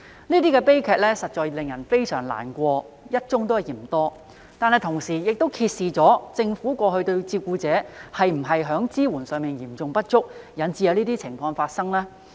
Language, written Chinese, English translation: Cantonese, 這些悲劇實在令人非常難過，"一宗也嫌多"，但同時亦揭示政府過去對照顧者的支援是否嚴重不足，以致有這些情況發生呢？, Such tragedies are indeed terribly saddening and one such incident is already too many . Do they reveal that the serious lack of support from the Government for carers in the past was the cause of such incidents?